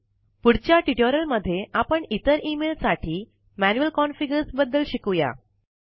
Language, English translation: Marathi, We shall learn about manual configurations for other email accounts in later tutorials